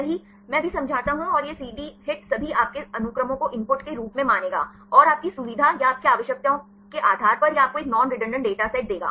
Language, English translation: Hindi, I will explain now right and this CD HIT will treat all your sequences as input, and depending upon your convenience or your needs right it will give you a non redundant dataset